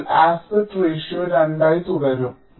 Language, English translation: Malayalam, so aspect ratio remains two